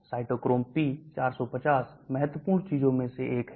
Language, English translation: Hindi, cytochrome p450 is one of the important things